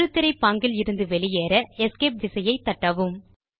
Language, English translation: Tamil, In order to exit the full screen mode, press the Escape key on the keyboard